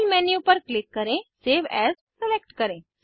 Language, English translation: Hindi, click on File Menu select Save as